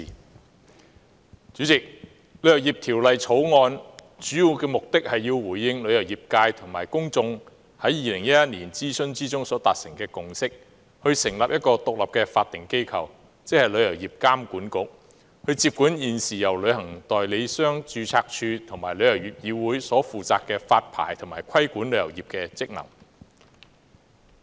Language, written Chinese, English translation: Cantonese, 代理主席，《旅遊業條例草案》的主要目的是要回應旅遊業界及公眾在2011年諮詢中所達成的共識，成立一個獨立的法定機構，即旅遊業監管局，接管現時由旅行代理商註冊處及旅議會所負責的發牌和規管旅遊業的職能。, Deputy President the main purpose of the Travel Industry Bill the Bill is to establish an independent statutory body ie . a Travel Industry Authority TIA in response to the consensus reached by the travel industry and the public in the consultation exercise in 2011 so as to take up the licensing and trade regulatory functions from the Travel Agents Registry TAR and TIC